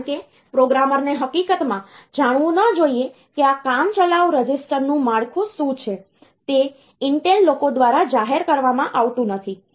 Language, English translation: Gujarati, Because programmer is not supposed to know in fact, what is the structure of this temporary register it is not revealed by the Intel people